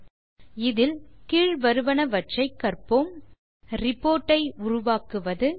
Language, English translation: Tamil, In the next tutorial, we will learn how to modify our report